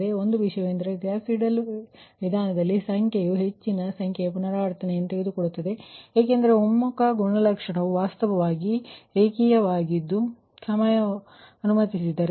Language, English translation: Kannada, so only thing is that in gauss, seidel method, that ah number, it takes more number of iteration because convergence characteristic actually is a linear, right